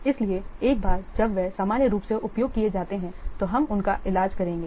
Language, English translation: Hindi, So, once they are used normally we will treat them as are consumed